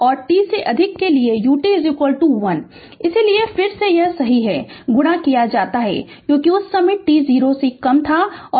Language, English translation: Hindi, And for t greater than 0, U t is equal to 1, so that is why again it is U t is multiplied right, because at that time t less than 0 the switch was open right